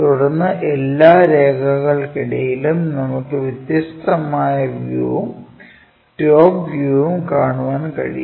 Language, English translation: Malayalam, Then, among all lines what we can see a different view and the top view